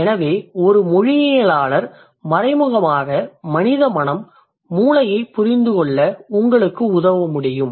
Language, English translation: Tamil, So a linguist indirectly can actually help you to understand the human mind slash brain